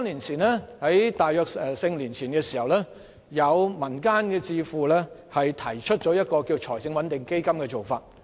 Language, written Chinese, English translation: Cantonese, 在大約四五年前，有民間智庫提出財政穩定基金的做法。, Around four or five years ago a community think - tank proposed the establishment of a financial stability fund